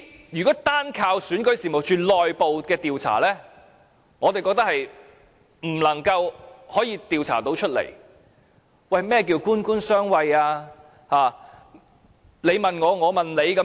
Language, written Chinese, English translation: Cantonese, 如果單靠選舉事務處的內部調查，我們認為無法調查得到任何結果；何謂"官官相衞"，對嗎？, Did it involve any conspiracy and deception? . If we rely solely on the internal investigation of REO it will not be possible to yield any investigation results . Government officials are friends of each other right?